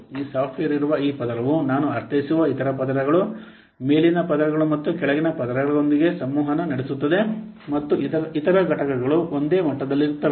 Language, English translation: Kannada, This layer where this software is present, this communicates with other layers, I mean upper layers and below layers and also other components are the same level